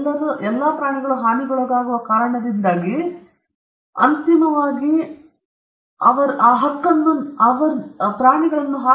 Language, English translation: Kannada, All those involve harming animals because eventually they will get harmed in this process